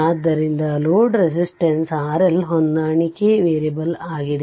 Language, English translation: Kannada, So, we assume that load resistance R L is adjustable that is variable right